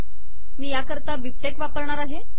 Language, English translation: Marathi, I will be using BibTeX for this purpose